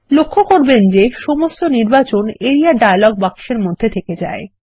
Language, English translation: Bengali, Notice that all the selection are retained in the Area dialog box